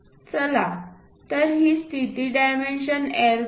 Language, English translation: Marathi, Let us look at this position dimensions L